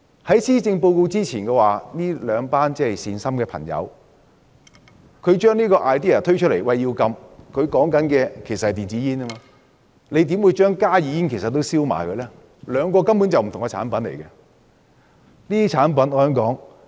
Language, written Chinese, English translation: Cantonese, 在施政報告發表之前，這兩群善心的朋友提出要禁煙，但他們說的是電子煙，為何現在連加熱煙也混為一談，兩者根本是不同的產品？, Before the delivery of the Policy Address these two groups of kind - hearted friends of ours advocated forbidding cigarettes but their target was electronic cigarettes . Why are HnB cigarettes muddled up? . These two are actually different products